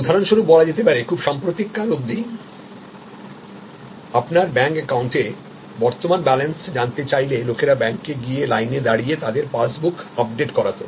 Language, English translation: Bengali, So, for example, if you want to know your current balance at your bank account till very recently people went to the bank and stood in the line and got their passbook updated